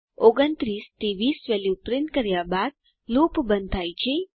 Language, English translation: Gujarati, Loop terminates after printing the values from 29 to 20